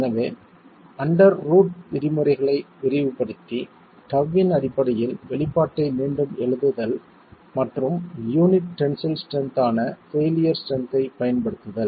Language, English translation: Tamil, So, expanding the under root terms and rewriting the expression in terms of tau and making use of the failure strength here which is the tensile strength of the unit itself